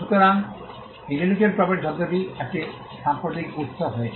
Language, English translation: Bengali, So, the term intellectual property has been of a recent origin